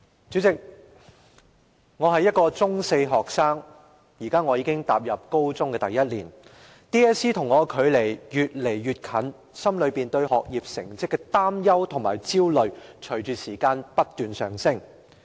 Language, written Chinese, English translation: Cantonese, 主席，"我是一個中四學生，現在我已踏入高中的第一年 ，DSE 和我的距離越來越近，心裏對學業成績的擔憂和焦慮隨着時間不斷上升。, President I am a Secondary Four student entering the first year of my senior secondary studies . As DSE is getting closer and closer I become more and more worried and anxious about my academic results